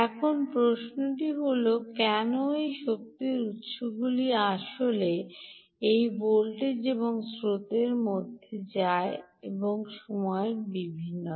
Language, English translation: Bengali, and the question is, why do these energy sources actually go through this voltage and current variations in time